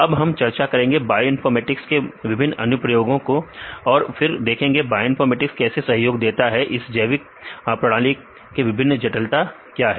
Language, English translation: Hindi, Now, we discuss about different applications of bioinformatics and then how the bioinformatics contribute and different complexities of biological systems